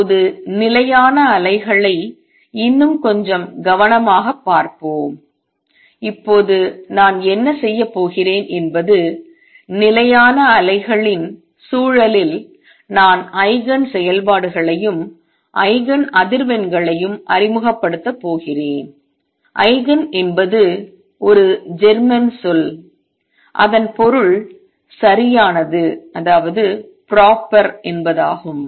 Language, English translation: Tamil, Now let us look at stationary waves a little more carefully and what I am going to do now is that in the context of stationary waves I am going to introduce Eigen functions and Eigen frequencies; Eigen is a German word which means proper